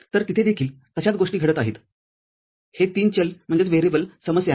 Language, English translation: Marathi, So, there also follows the similar thing, this is a three variable problem